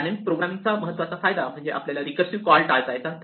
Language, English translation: Marathi, One of the advantages of using dynamic programming is it avoids this recursive call